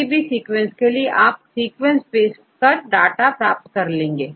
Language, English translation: Hindi, For any sequence, just you paste the sequence and you get the data